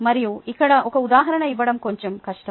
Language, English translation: Telugu, its a little difficult to give you an example here